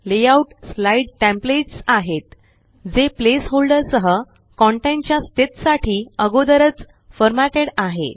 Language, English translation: Marathi, Layouts are slide templates that are pre formatted for position of content with place holders